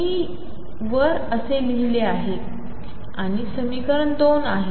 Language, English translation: Marathi, This is my equation number 2